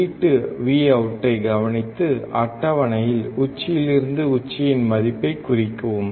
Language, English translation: Tamil, Then observe the output Vout and note down peak to peak value in the table